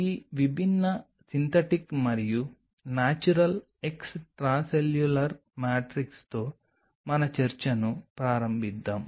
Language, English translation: Telugu, Let us start our discussion with this different synthetic and natural extracellular matrix